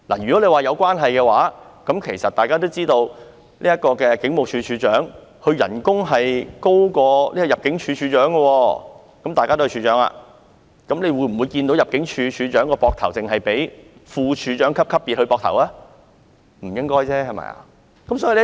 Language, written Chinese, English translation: Cantonese, 如果說這是有關係的話，大家都知道，警務處處長的薪酬是高於入境事務處處長的薪酬，大家都是處長，但我們會否看到入境事務處處長肩膊上的徽章只是副處長級的徽章呢？, If you say that they are related then think about this We all know that the salary of the Commissioner of Police is higher than that of the Director of Immigration as both are Heads of Department but do we see that the insignias on the shoulder of the Director of Immigration are only the insignias of a Deputy Director?